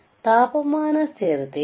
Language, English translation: Kannada, So, temperature stability